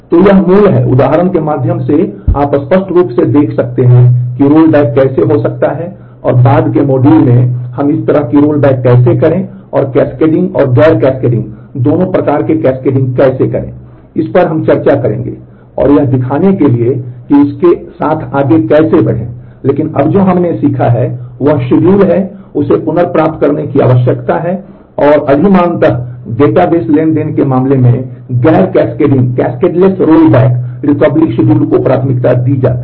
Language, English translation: Hindi, So, this is the basic through the example you can clearly see, what is how the rollback can happen and in a later module, we will discuss the processes of how to do this kind of rollback the cascading and non cascading both kinds and show how to go ahead with that, but now for now what we learned is schedules need to be recoverable and, preferably cascade less rollback recovery schedules are preferred in case of database transactions